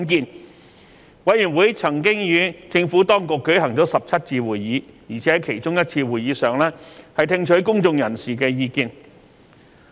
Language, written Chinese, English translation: Cantonese, 法案委員會曾與政府當局舉行了17次會議，在其中一次會議上更聽取了公眾人士的意見。, The Bills Committee held 17 meetings with the Administration including a meeting to receive public views